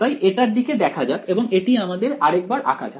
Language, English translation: Bengali, So, let us look at this let us draw this again